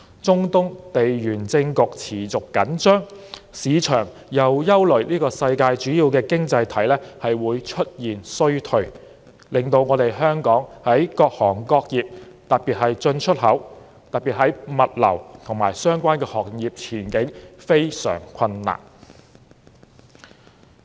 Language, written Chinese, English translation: Cantonese, 中東地緣政局持續緊張，市場又憂慮世界主要經濟體會出現衰退，令到香港各行各業，尤其是進出口、物流及相關行業的前景非常困難。, With persistent geopolitical tensions in the Middle East and market concerns over recession in major economies the outlook of various industries in Hong Kong particularly import and export logistics and related industries is full of difficulties